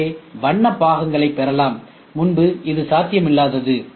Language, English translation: Tamil, So, you can try to get color parts, if it is earlier was not possible